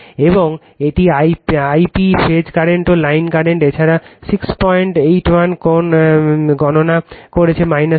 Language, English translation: Bengali, And this I p phase current also line current, we have also computed 6